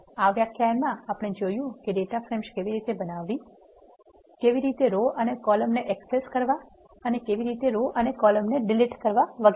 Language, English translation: Gujarati, In this lecture we have seen how to create data, frames how to access rows and columns of data frame and how to delete rows and columns of a data frame and so on